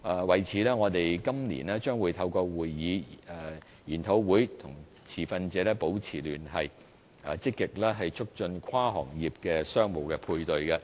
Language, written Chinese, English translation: Cantonese, 為此，我們今年將透過會議、研討會，與持份者保持聯繫，積極促進跨行業的商務配對。, In this connection we maintain contacts with the stakeholders through meetings and seminars to be held this year to proactively promote cross - sector business matching